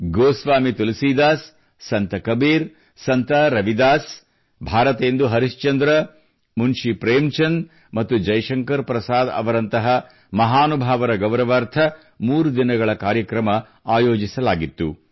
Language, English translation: Kannada, A threeday Festival was organized in honour of illustrious luminaries such as Goswami Tulsidas, Sant Kabir, Sant Ravidas, Bharatendu Harishchandra, Munshi Premchand and Jaishankar Prasad